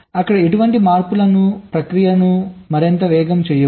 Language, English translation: Telugu, that will make the process even faster